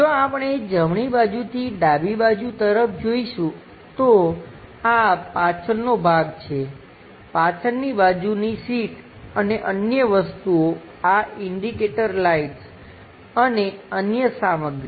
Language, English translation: Gujarati, So, this is back side portion, the back side seats and other thingsthe indicator lights and other stuff